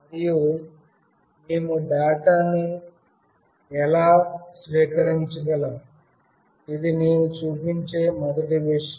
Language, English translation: Telugu, And how we can receive the data, this is the first thing that I will show